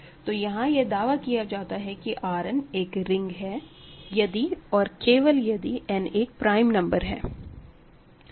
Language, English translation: Hindi, So, here R n is a ring, I claim if and only if n is a prime number